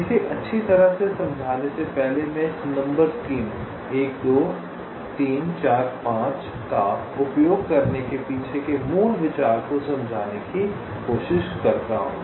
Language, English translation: Hindi, well, before explaining these, let me, ah, just try to explain to you the basic idea behind using this numbering scheme: one, two, three, four, five